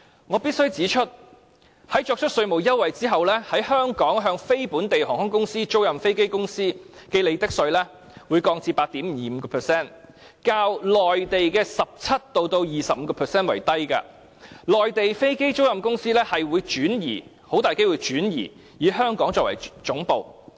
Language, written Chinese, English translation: Cantonese, 我必須指出，在作出稅務優惠之後，香港向非本地航空公司、租賃飛機公司徵收的利得稅將會降至 8.25%， 較內地的 17% 至 25% 為低，內地的飛機租賃公司很可能會轉移以香港作為總部。, I must point out that with the tax concession the profits tax that Hong Kong is going to impose on companies leasing aircraft to non - Hong Kong airlines will decrease to 8.25 % way lower than the 17 % to 25 % tax rate in Mainland China . Mainland aircraft lessors are highly likely to relocate their headquarters to Hong Kong